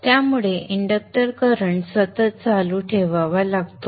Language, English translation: Marathi, Therefore one has to keep the inductor current continuous